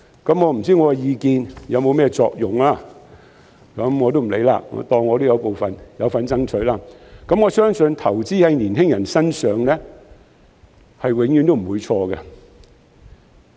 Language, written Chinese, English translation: Cantonese, 我不知道我的意見有否作用，就當我是有份爭取的其中一位吧，我相信投資在年青人身上，是永遠都不會錯的。, I am not sure whether my opinions did count for something but just take me as one of those who have a part to play in striving for it . I believe that it is never wrong to invest in youths